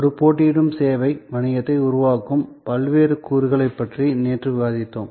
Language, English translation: Tamil, Yesterday, we discussed the different elements that go into creating a competitive service business